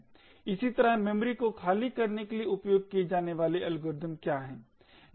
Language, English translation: Hindi, Similarly what are the algorithms used for freeing the memory